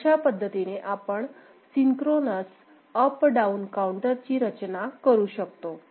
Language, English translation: Marathi, So, this is how we can design a synchronous up down counter